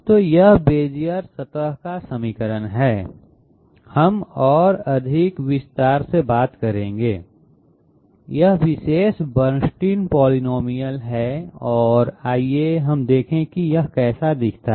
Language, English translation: Hindi, So this is the equation of the Bezier surface, we will be taking up in more detail, this is the particular you know Bernstein polynomial and let us have a quick look what it looks like